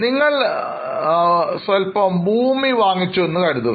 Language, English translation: Malayalam, Suppose we own a piece of land